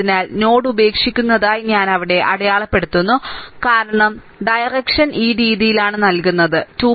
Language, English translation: Malayalam, So, I mark it here that is actually leaving the node, because direction is this way it is given, right is equal to 2